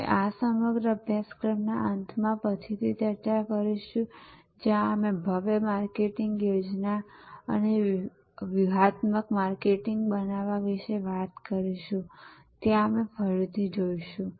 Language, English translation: Gujarati, We will have a later discussion towards the end of this whole course, where we will again look at when we talk about creating the grand marketing plan and the tactical marketing